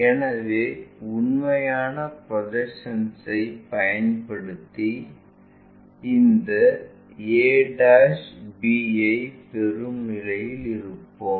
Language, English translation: Tamil, So, using true projections we will be in a position to get this a' b'